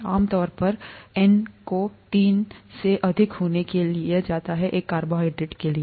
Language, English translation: Hindi, And usually N is taken to be greater than three for a carbohydrate